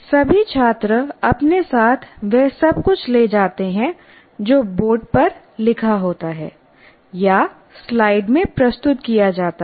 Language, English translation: Hindi, So what happens, whatever that is written on the board are presented in the slides